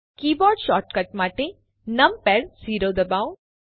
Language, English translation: Gujarati, For keyboard shortcut, press numpad 0